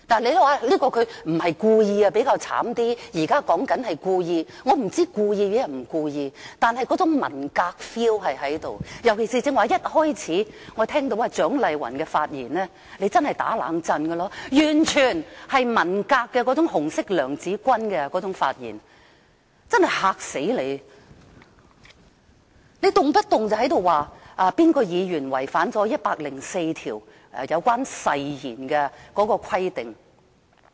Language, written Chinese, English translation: Cantonese, 你們會說這人不是故意，可能比較可憐，現在說的人是故意——我不知道他故意抑或並非故意——但是，那種"文革 feel" 確實存在，尤其是剛才一開始我聽到蔣麗芸議員的發言，真是令人"打冷顫"，完全是文革那種"紅色娘子軍"的發言，真是很嚇人，動不動便說某位議員違反了《基本法》第一百零四條有關誓言的規定。, You may say that this man did not do that intentionally and probably deserved our sympathy but the person in question was deliberate―I have no idea if he was deliberate or not―however this is indeed reminiscent of the Cultural Revolution especially when I heard Dr CHIANG Lai - wans speech at the outset which really sent chills down my spine . That speech of hers was entirely reminiscent of The Red Detachment of Women during the Cultural Revolution . That was really scary